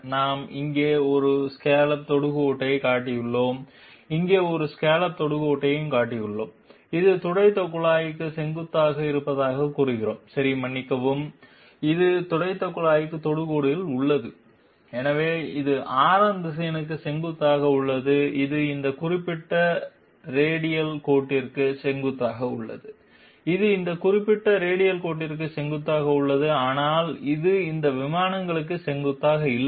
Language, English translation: Tamil, We have shown one scallop tangent here, we have shown one scallop tangent here and we are claiming that it is perpendicular to the swept tube okay sorry, it is tangential to the swept tube and therefore it is perpendicular to the radius vector which is connecting this scallop point with the centre, it is perpendicular to this particular radial line, it is perpendicular to this particular radial line but it is not perpendicular to these planes